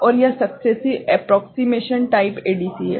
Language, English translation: Hindi, And this is successive approximation type